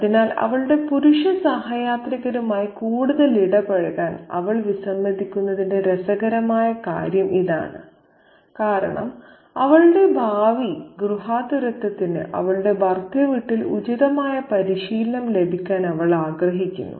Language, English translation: Malayalam, So, that's the interesting thing, that's the interesting thing about her refusal to engage with her male companions further because she wants to be appropriately trained for her future domesticity in her in in laws' home